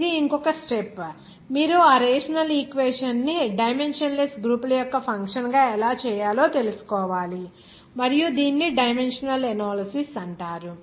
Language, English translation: Telugu, That is a further step but up to this, you have to know how you can make that rational equation as a function of dimensionless groups and this is called dimensional analysis